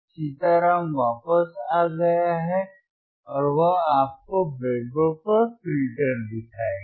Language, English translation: Hindi, Sitaram is back and he will show you the filter he will show you the filter on on the breadboard